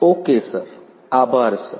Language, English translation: Gujarati, Ok sir, thank you sir